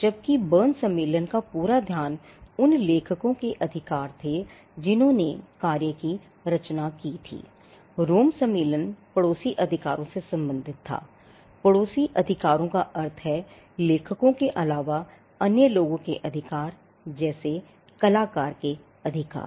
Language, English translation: Hindi, While the focus of the Berne convention was rights of the authors the people who created the work, the Rome convention pertain to neighbouring rights; neighbouring rights meaning the rights of those other than the authors say the performer’s rights